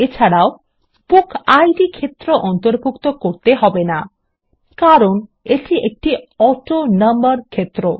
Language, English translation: Bengali, Also, we need not include the BookId field which is an AutoNumber field